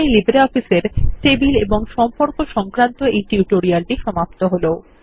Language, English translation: Bengali, In this tutorial, we will cover Tables and Relationships in LibreOffice Base